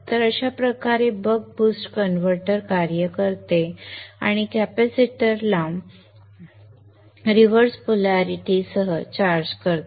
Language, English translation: Marathi, So this is how the Buck Post converter works and charges of the capacitor with the reverse polarity